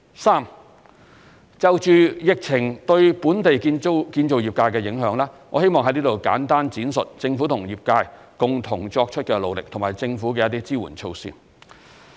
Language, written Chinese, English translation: Cantonese, 三就疫情對本地建造業界的影響，我希望在此簡單闡述政府和業界共同作出的努力，以及政府的一些支援措施。, 3 On the impact of the epidemic on the local construction industry I would like to briefly elaborate the concerted efforts of the Government and the construction industry as well as the relief measures that the Government has implemented